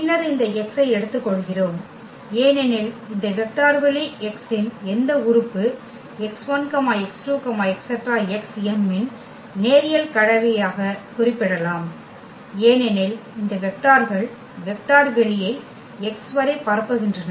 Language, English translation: Tamil, And then we take this x because any element of this vector space x can be represented as a linear combinations of x 1 x 2 x 3 x m because these vectors span the vector space X